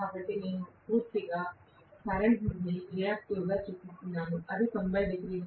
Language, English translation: Telugu, So I am showing the current to be completely reactive, it is that 90 degrees